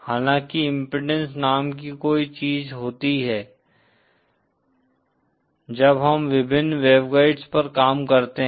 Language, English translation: Hindi, However there is something called an impedance, when we deal with various waveguides